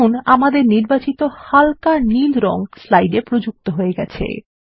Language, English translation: Bengali, Notice, that the light blue color we selected is applied to the slide